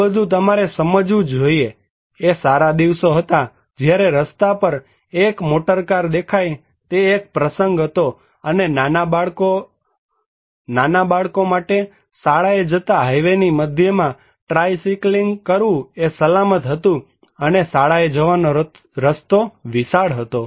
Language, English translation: Gujarati, All this you must realize, was in the good old days when the sight of motor car on the street was an event, and it was quite safe for tiny children to go tricycling and whopping their way to school in the centre of the highway